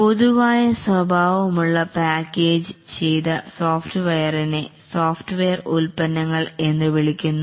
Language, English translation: Malayalam, The packaged software, which are generic in nature, are called as the software products